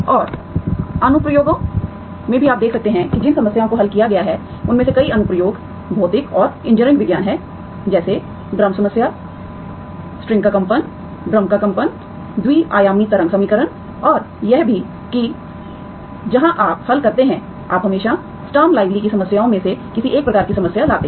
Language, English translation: Hindi, And also in the applications you can see that many of the problems that have solved are having applications, physical and engineering sciences, such as drum problem, vibrations of a string, vibrations of drum, two dimensional wave equation and also that, that is where you solve the, you bring in always Sturm Louiville problems either of the type that we have studies, okay